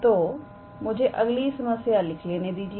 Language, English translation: Hindi, So, let me write the problem